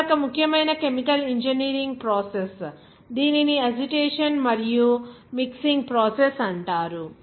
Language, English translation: Telugu, Another important chemical engineering process it’s called Agitation and mixing process